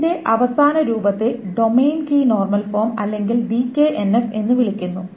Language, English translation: Malayalam, The final form of this is called the domain key normal form or the DKNF